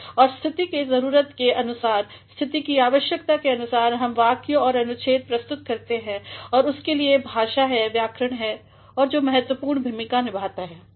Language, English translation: Hindi, And, depending upon the exigency of the situation, depending upon the need of the situation we have to frame sentences and paragraphs and for that it is language, it is the grammar that plays a significant role